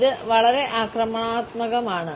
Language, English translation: Malayalam, It is it is very aggressive